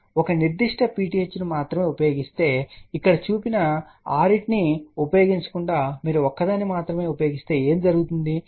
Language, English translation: Telugu, Suppose if you use only one particular PTH ok instead of using 6 shown over here if you use only one so what will happen